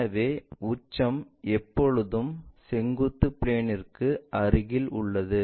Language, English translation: Tamil, So, the apex always be near to vertical plane